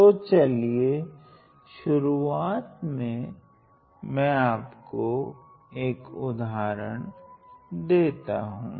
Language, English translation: Hindi, Moving on let us look at one more example